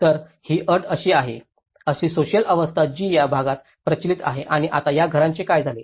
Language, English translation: Marathi, So, this is the condition, social systems which has been prevalent in these areas and now what happened to these houses